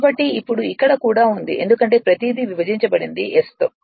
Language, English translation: Telugu, So, now, here it is also because everything divided by S